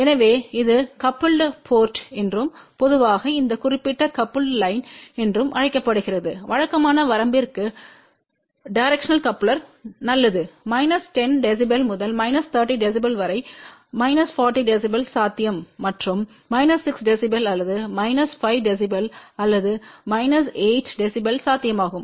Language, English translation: Tamil, So, this is known as coupled port and generally this particular coupled line directional coupler is good for typical range is minus 10 db to about minus 30 db of course, minus 40 db is possible and also minus 6 db or minus 5 db or minus 8 db is possible